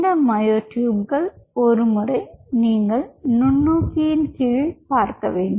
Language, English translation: Tamil, and what you do once this myotubes are form, you look at them under the microscope